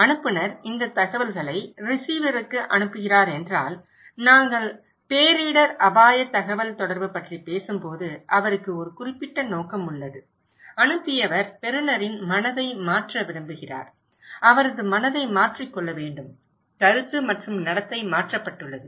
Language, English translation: Tamil, If the sender is sending these informations to the receiver, he has a very particular motive when we are talking about disaster risk communication, the motive is the sender wants to change the mind of receiver okay, change his mind, changed perception and changed behaviour